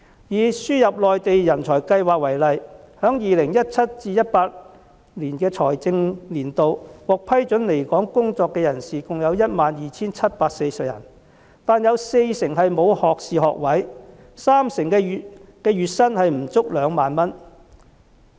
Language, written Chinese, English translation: Cantonese, 以輸入內地人才計劃為例，在 2017-2018 財政年度，獲批准來港工作的人士有 12,740 人，但有四成人沒有學士學位，三成人的月薪不足2萬元。, Take the Admission Scheme for Mainland Talents and Professionals as an example In the 2017 - 2018 financial year 12 740 people were approved to come to work in Hong Kong but among them 40 % were not degree holders and 30 % of them earned less than 20,000 per month